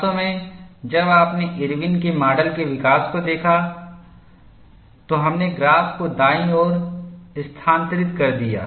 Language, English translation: Hindi, In fact, when you looked at the development of Irwin's model we shifted the graph to the right, something similar to that is being stated here